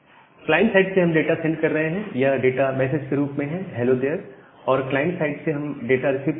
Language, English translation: Hindi, So, we are sending the data from the client as this message hello dear and from the client side we are receiving the data